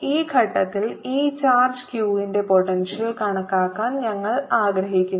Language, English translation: Malayalam, then we wish to calculate the potential of this charge q at this point